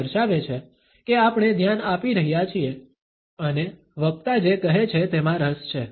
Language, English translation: Gujarati, ” It shows that we are paying attention and are interested in what the speaker has to say